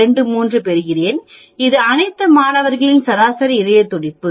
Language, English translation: Tamil, 23, this is the average heart beat of all the students